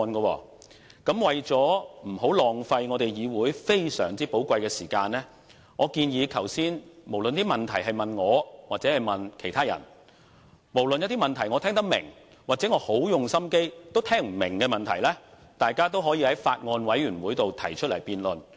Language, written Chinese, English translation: Cantonese, 為了不浪費我們議會非常寶貴的時間，我建議無論剛才議員提出的問題是問我或其他人，無論那些問題是我聽得懂或不管如何用心也聽不懂，大家也可在法案委員會內提出辯論。, To avoid wasting the very valuable time of our Council I suggest that Members should pose their questions whether those questions are directed to me or someone else and whether they are something I can understand or hardly make sense of in a Bills Committee for debate